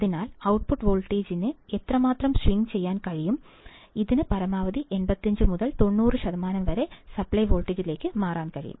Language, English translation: Malayalam, So, this is how much the output voltage can swing, it can swing for a maximum upto 85 to 90 percent of the supply voltage